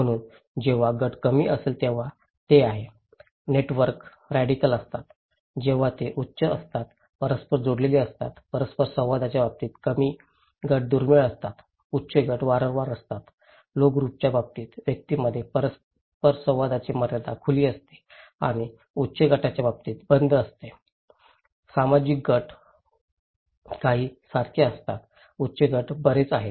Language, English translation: Marathi, So, group when low, it is; the networks are radical, when high it is interconnected, in case of interactions low groups are rare, high groups are frequent, boundaries of interactions among individuals in case of low group is open and in case of high group is closed, shared groups like few, high groups are many